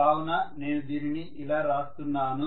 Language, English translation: Telugu, So I am writing this like this